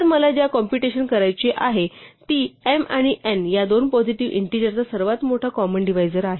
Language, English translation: Marathi, So, the property that I want to compute is the greatest common decide divisor of two positive integers m and n